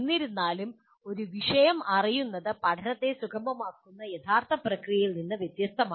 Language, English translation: Malayalam, Knowing the subject is different from the actual process of facilitating learning